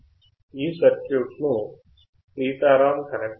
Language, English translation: Telugu, Sitaram has connected the circuit